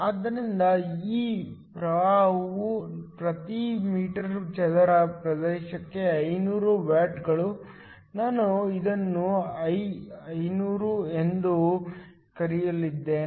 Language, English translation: Kannada, So, this current at 500 watts per meter square illumination, I am going to call this as I500